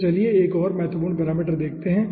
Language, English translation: Hindi, right, then let us see another important parameter earlier slide